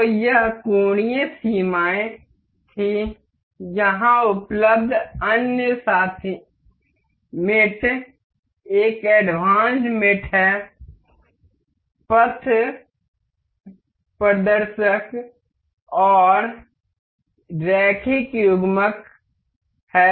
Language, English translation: Hindi, So, this was angular limits, the other mates available here is in advanced mate is path mate and linear coupler